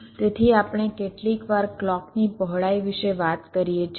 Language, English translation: Gujarati, so we sometimes talk about the clock width